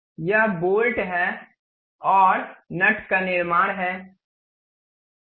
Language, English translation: Hindi, This is the way bolt and nut we constructed